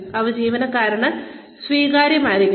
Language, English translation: Malayalam, They should be acceptable to the employee